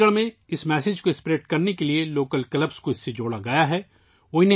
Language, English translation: Urdu, To spread this message in Chandigarh, Local Clubs have been linked with it